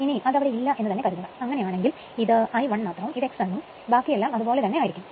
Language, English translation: Malayalam, Suppose it is not there, if it is not there then this is I I 1 only, this is X m and rest remains same right